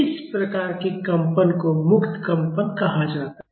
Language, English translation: Hindi, These type of vibrations are called as free vibration